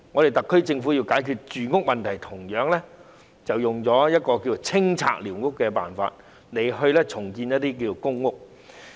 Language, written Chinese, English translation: Cantonese, 特區政府現時要解決住屋問題，同樣採用了清拆寮屋的手法，然後在用地上興建公屋。, The SAR Government has to tackle with the housing problem now and it has also adopted the approach of demolishing squatters and developing public rental housing on the sites